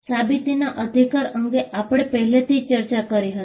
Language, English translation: Gujarati, Now, proof of right, we had already discussed this